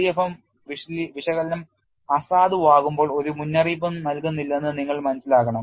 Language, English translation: Malayalam, You have to understand the LEFM analysis gives no warning when it becomes invalid